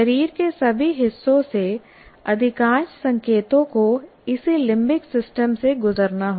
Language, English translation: Hindi, See, most of the signals will have to, from the body or from every other point, it will have to go through this limbic system